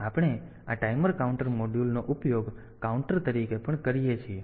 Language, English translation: Gujarati, So, we can use this module this timer counter module also as a counter